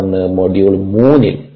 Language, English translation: Malayalam, ok, so that was module three